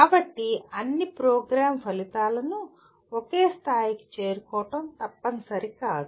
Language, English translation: Telugu, So it is not mandatory that all program outcomes have to be attained to the same level